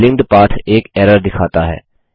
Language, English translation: Hindi, The linked path shows an error